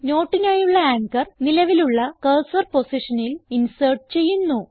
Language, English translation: Malayalam, The anchor for the note is inserted at the current cursor position